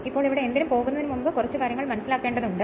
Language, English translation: Malayalam, Now here before anything we do we have to understand little bit